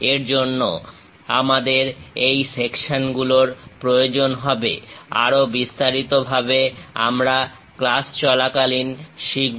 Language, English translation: Bengali, For that purpose, we require these sections; more details we will learn during the class